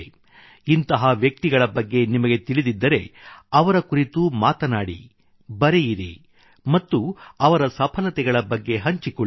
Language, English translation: Kannada, If you too know of any such individual, speak and write about them and share their accomplishments